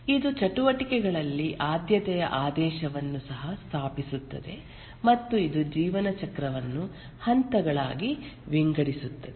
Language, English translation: Kannada, It also establishes a precedence ordering among the activities and it divides the life cycle into phases